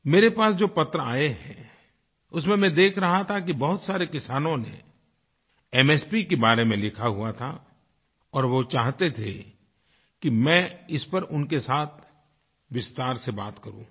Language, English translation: Hindi, I have received a number of letters in which a large number of farmers have written about MSP and they wanted that I should talk to them at length over this